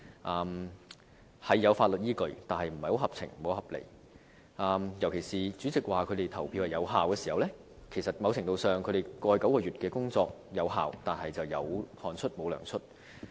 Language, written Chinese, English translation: Cantonese, 當中雖有法律依據的，但不太合情合理，尤其是主席說他們的投票有效，某程度上，即是說他們過去9個月的工作有效，但卻"有汗出無糧出"。, This refund request while with the legal backing is not reasonable and justifiable . In particular the Presidents confirmation of the validity of the votes casted by DQ Members does somewhat acknowledge the work of the DQ Members in the Legislative Council over the past nine months